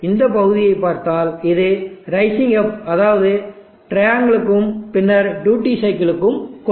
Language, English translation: Tamil, So if you look at this portion it is a rising up means now that is given to a triangle and then to the duty cycle